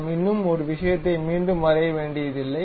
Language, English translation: Tamil, We do not have to reconstruct one more thing